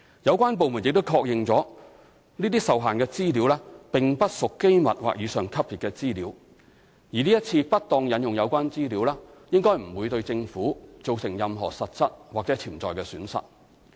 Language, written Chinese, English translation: Cantonese, 有關部門亦確認這些受限資料並不屬機密或以上級別資料，而這次不當引用有關資料，應該不會對政府造成任何實質或潛在的損失。, The department concerned also confirmed that such restricted information was not classified as confidential or above and the current improper quotation of the relevant information should not give rise to any real or potential loss of the Government